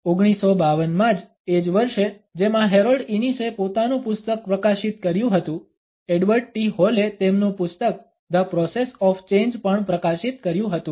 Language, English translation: Gujarati, In 1952 only, the same year in which Harold Innis has published his book, Edward T Hall also published his book The Process of Change